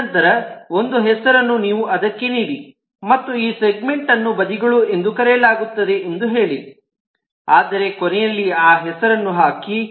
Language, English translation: Kannada, and then you give it a name and you say that this segments are called sides, but the end you put that name